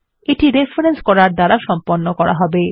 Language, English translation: Bengali, This will be done by referencing